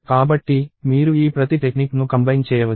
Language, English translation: Telugu, So, you can combine each of these techniques